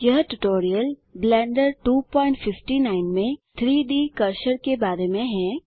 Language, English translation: Hindi, This tutorial is about the 3D Cursor in Blender 2.59